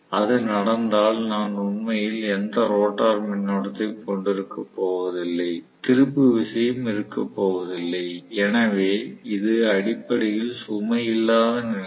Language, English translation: Tamil, If at all it happens, then I am going to have really no rotor current at all, no torque at all, so it is essentially no load condition